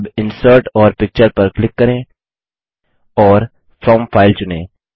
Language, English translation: Hindi, Now, lets click on Insert and Picture and select From File